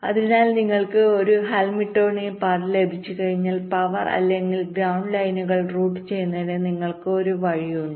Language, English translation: Malayalam, so once you get a hamiltionian path, you have one way of routing the power or the ground lines